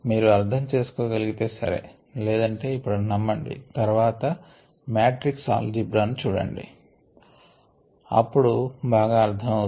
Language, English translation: Telugu, otherwise you need to take it on ah belief and then go and check the matrix algebra and then understand these things better